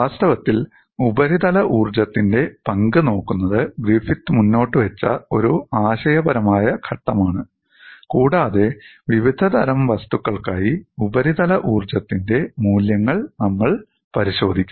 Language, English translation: Malayalam, In fact, looking at the role of surface energy was a conceptual step put forward by Griffith and we will look at the values of surface energies for a variety of material